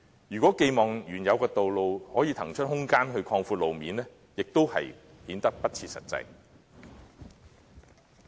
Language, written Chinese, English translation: Cantonese, 如果寄望原有的道路可以騰出空間來擴闊路面，亦顯得不切實際。, It is also unrealistic to expect the existing roads to make way for road - widening